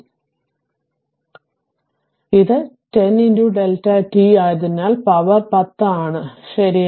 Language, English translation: Malayalam, So, because it is 10 into delta t minus strength is 10, right